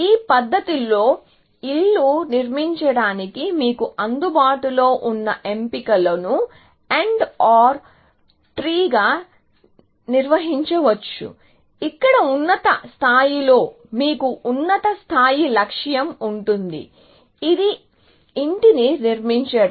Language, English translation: Telugu, In this manner, the choices that available to you to construct a house, can be organized into an AND OR tree where, the top level, you have the high level goal, which is to construct a house